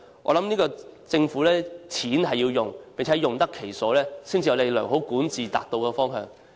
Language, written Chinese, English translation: Cantonese, 我認為政府的錢是要用的，並要用得其所才能符合良好管治的方向。, I think the government coffers have to be used but it is in line with the direction of good governance only when they are put to proper use